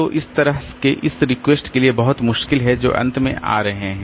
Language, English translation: Hindi, So, that way it is very difficult for this request that are coming to the end